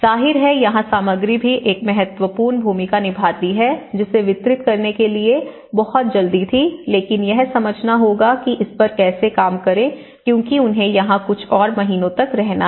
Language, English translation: Hindi, So, this is where material also plays an important, of course, it was very quick to deliver but one has to understand that they have to stay here for a few more months and how to work on it